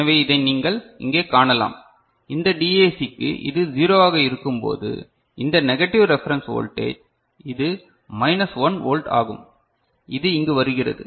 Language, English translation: Tamil, So, this is what you can see over here and when it is 0 right for this DAC, we are this is negative reference voltage that is minus 1 volt it is coming over here